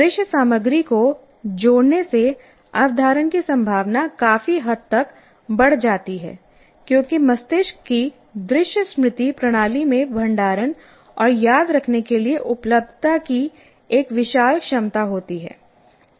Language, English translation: Hindi, Adding visual material substantially increases the chance of retention because the brain's visual memory system has an enormous capacity for storage and availability for recall